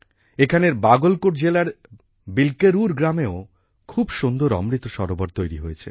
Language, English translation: Bengali, Here in the village 'Bilkerur' of Bagalkot district, people have built a very beautiful Amrit Sarovar